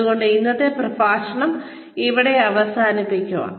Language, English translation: Malayalam, So, we will end today's lecture here